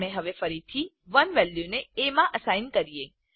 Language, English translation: Gujarati, We now again assign the value of 1 to a